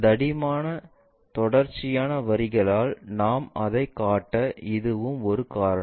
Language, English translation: Tamil, That is also one of the reason we show it by dark continuous lines